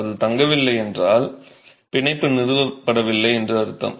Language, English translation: Tamil, If it doesn't stay, bond has not been established